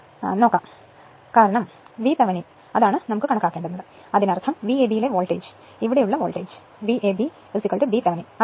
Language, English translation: Malayalam, So, forget about this one as this side is not there because we have to calculate the v V Thevenin means, the voltage across your what to call your v a b right what will be the what will be the voltage here right v a b is equal to b Thevenin